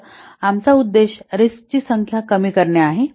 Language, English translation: Marathi, So our objective is to reduce the number of risks